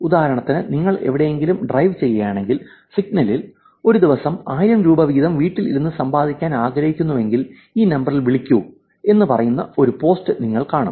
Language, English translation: Malayalam, Again these things have been in traditional ways for example, if you are driving down somewhere in the signal, you will see a post which says, ‘want to won 1000 Rupees a day sitting at home please call this number’ these kind of scams are being there